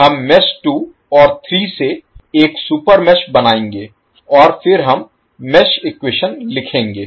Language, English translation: Hindi, So we will create one super mesh containing mesh 2 and 3 and then we will write the mesh equation